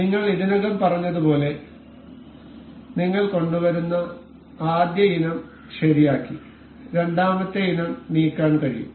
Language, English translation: Malayalam, As I have already told you the first item that we bring in remains fixed and the second item can be moved